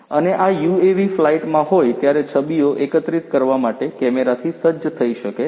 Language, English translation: Gujarati, And, this UAV could be fitted with cameras to collect images while it is on flight